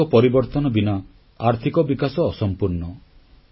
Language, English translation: Odia, Economic growth will be incomplete without a social transformation